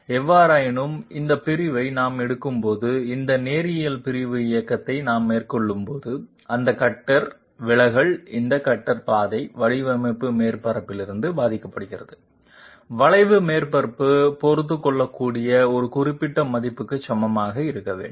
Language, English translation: Tamil, However, when we are taking this segmental when we are carrying out this linear segmental motion, the deviation that that the cutter the deviation this cutter path suffers from the design surface okay the curve surface that has to be equated to a particular value which can be tolerated